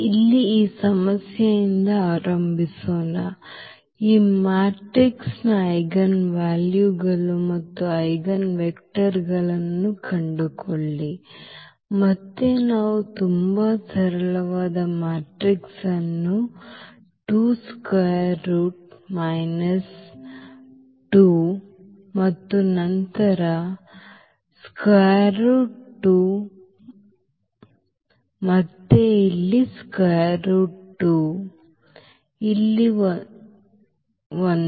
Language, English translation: Kannada, So, let us start with this problem here find eigenvalues and eigenvectors of this matrix, again a very simple matrix we have taken 2 square root minus 2 and then square root 2 and again here square root 2 and this one there